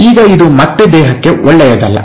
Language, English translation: Kannada, Now this is again not good for the body